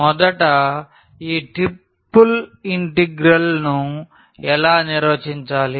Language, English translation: Telugu, So, first how to define this triple integral